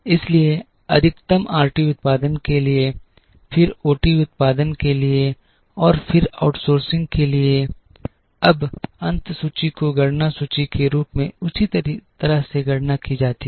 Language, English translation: Hindi, Therefore, maximum is given to RT production then to OT production and then to outsourcing, now the ending inventory is calculated in the same manner as beginning inventory